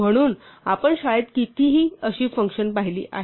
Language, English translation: Marathi, So, we have seen any number of such functions in school